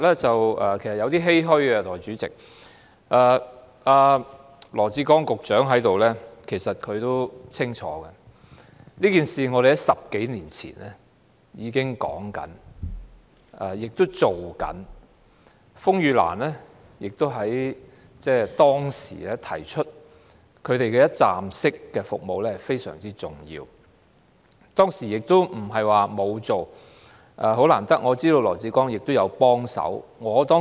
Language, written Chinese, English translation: Cantonese, 在座的羅致光局長其實也很清楚這情況，我們在10多年前已經提出要推行有關建議，風雨蘭指出提供一站式服務非常重要，當時不是沒有推動，我知道羅致光也有幫忙。, Secretary Dr LAW Chi - kwong now sitting in this Chamber is actually very clear about this situation . More than a decade ago we already suggested implementing the proposal and RainLily also pointed out the importance of providing one - stop services . The proposal was not abandoned back then and as I know Secretary Dr LAW Chi - kwong also helped in the implementation